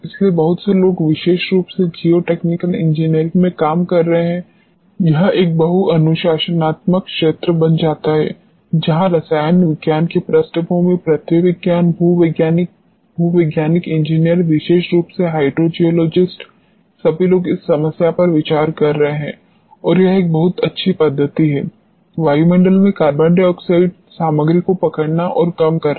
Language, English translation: Hindi, So, on this lot of people are working particularly in geotechnical engineering, it becomes a multi disciplinary area where people from chemistry background, earth sciences, geologist geotechnical engineers particularly hydro geologist all of them are considering this problem and this is a very good methodology to capture and reduce the carbon dioxide content in the atmosphere